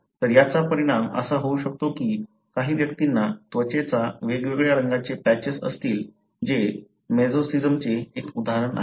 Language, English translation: Marathi, So, that can result in some individuals having patches of different colors of skin that is one example of mosaicism